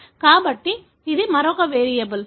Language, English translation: Telugu, So, this is another variable